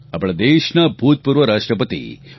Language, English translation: Gujarati, It is the birthday of our former President, Dr